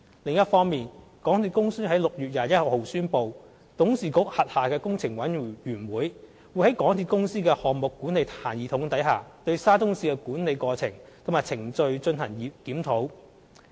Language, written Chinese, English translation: Cantonese, 另一方面，港鐵公司於6月21日宣布，董事局轄下的工程委員會，會在港鐵公司的項目管理系統下，對沙中線的管理過程和程序進行檢討。, On the other hand MTRCL announced on 21 June that the Capital Works Committee under the board of directors would review the management process and procedure of the SCL project with the aid of the MTRCLs project management system